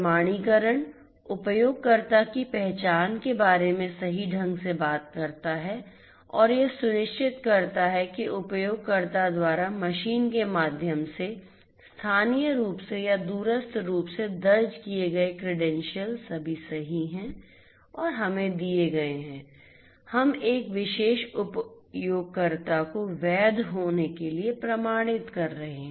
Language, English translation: Hindi, Authentication talks about identification of user correctly and ensuring that the credentials that are entered locally or remotely through the machine by the user are all correct and we are given, we are authenticating a particular user to be a legitimate one